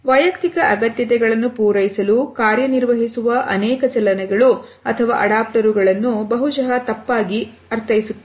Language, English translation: Kannada, Many movements or adaptors that function to satisfy personal needs maybe misinterpreted